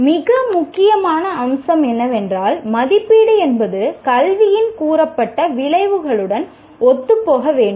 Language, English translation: Tamil, And the most important aspect is the assessment should be in alignment with stated outcomes of education